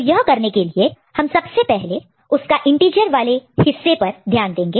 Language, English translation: Hindi, So, we do it by let us first look at the integer parts